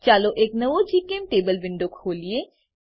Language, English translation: Gujarati, Lets open a new GChemTable window